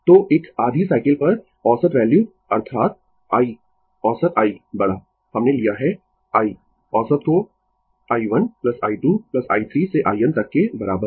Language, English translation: Hindi, So, average value over a half cycle that is I average I capital we have taken I average is equal to i 1 plus i 2 plus i 3 up to i n